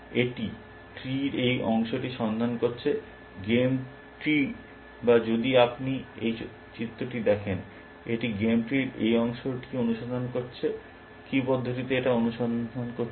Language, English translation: Bengali, It searching this part of the tree, game tree or in if you look at this diagram, it searching this part of the game tree, would in what manner is searching